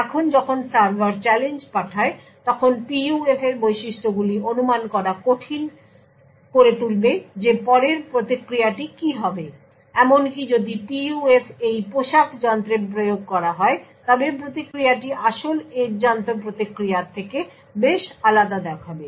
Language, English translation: Bengali, Now when the server sends the challenge, the properties of the PUF would make it difficult to predict what the response would be further, even if the PUF is implemented in this robe device the response will look quite different than what the original response was from the correct edge device